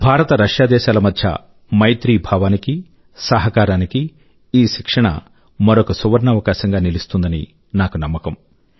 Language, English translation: Telugu, I am confident that this would script another golden chapter in IndiaRussia friendship and cooperation